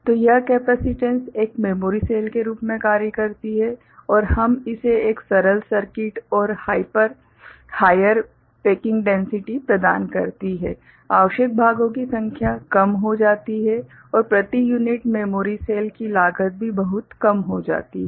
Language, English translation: Hindi, So, this capacitance acts as a memory cell and this provides us a simple circuit and a higher packing density, number of parts required becomes less, and the cost also per unit memory cell becomes much, much smaller